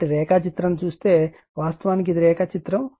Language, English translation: Telugu, So, if you see the diagram actually this is the diagram